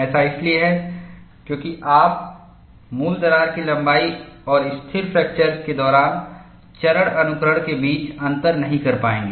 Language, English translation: Hindi, This is because you will not be able to distinguish between original crack length and the phase followed during stable fracture